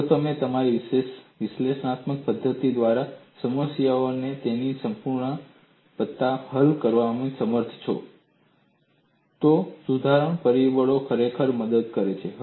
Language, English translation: Gujarati, If you are unable to solve the problem in all its totality by your analytical methodology, correction factors really help